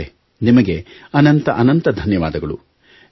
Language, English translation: Kannada, Nitish ji, plenty of plaudits to you